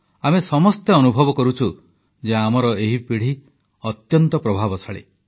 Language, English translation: Odia, All of us experience that this generation is extremely talented